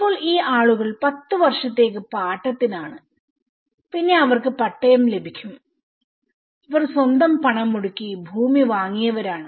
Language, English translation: Malayalam, So now, these people were on a lease for 10 years only then they will get the pattas and these people who bought the land with their own money